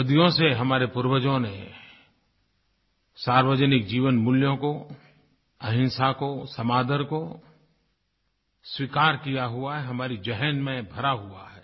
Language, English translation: Hindi, For centuries, our forefathers have imbibed community values, nonviolence, mutual respect these are inherent to us